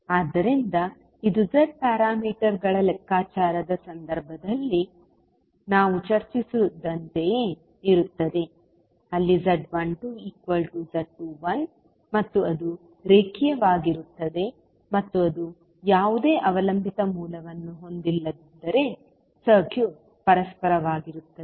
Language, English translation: Kannada, So this is similar to what we discussed in case of Z parameters calculation where Z 12 is equal to Z 21 and it was linear and if it was not having any dependent source, the circuit was reciprocal